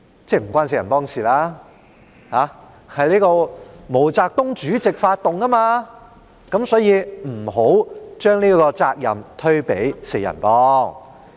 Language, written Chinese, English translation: Cantonese, 即文革不是由"四人幫"發起的，是毛澤東主席發動的，因此，不要把責任推給"四人幫"。, It means that the Cultural Revolution was not started by the Gang of Four . It was launched by Chairman MAO Zedong . Therefore do not shift the responsibility onto the Gang of Four